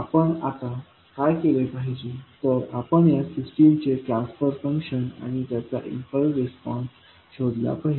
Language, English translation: Marathi, Now, what we have to do, we have to find the transfer function of this system and its impulse response